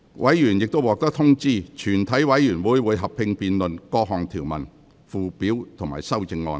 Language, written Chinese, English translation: Cantonese, 委員已獲通知，全體委員會會合併辯論各項條文、附表及修正案。, Members have been informed that the committee will conduct a joint debate on the clauses Schedules and amendments